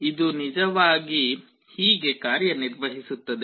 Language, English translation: Kannada, This is actually how it works